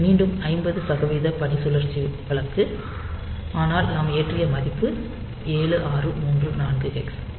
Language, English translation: Tamil, So, this is again 50 percent duty cycle case, but the value that we have loaded is 7 6 3 4 hex